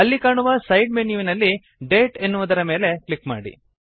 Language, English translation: Kannada, In the side menu which appears, click on the Date option